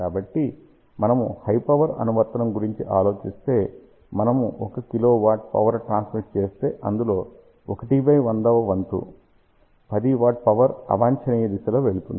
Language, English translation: Telugu, So, just think about a high power application if we are transmitting let us say 1 kilowatt of power 1 by 100th of that will be 10 watt power going in the undesired direction